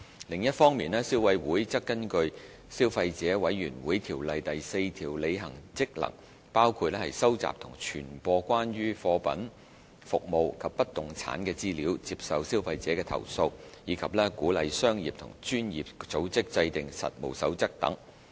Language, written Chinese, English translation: Cantonese, 另一方面，消委會則根據《消費者委員會條例》第4條履行職能，包括收集及傳播關於貨品、服務及不動產的資料；接受消費者的投訴；以及鼓勵商業及專業組織制訂實務守則等。, On the other hand CC exercises its functions in accordance with section 4 of the Consumer Council Ordinance which includes collecting receiving and disseminating information concerning goods services and immovable property; receiving complaints by consumers; and encouraging business and professional associations to establish codes of practice to regulate the activities of their members etc